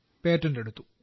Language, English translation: Malayalam, It has been patented